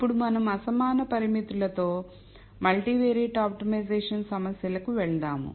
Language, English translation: Telugu, Till now we saw how to solve unconstrained multivariate optimization problems